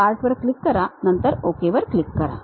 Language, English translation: Marathi, Click Part, then click Ok